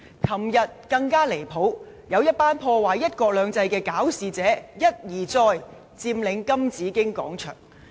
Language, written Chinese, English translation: Cantonese, 昨天更加離譜，有一群希望破壞"一國兩制"的搞事者，一再佔領金紫荊廣場。, What happened yesterday was even more outrageous . A group of trouble makers who intended to jeopardize one country two systems occupied the Golden Bauhinia Square